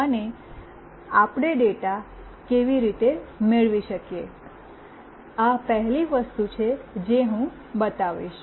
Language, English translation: Gujarati, And how we can receive the data, this is the first thing that I will show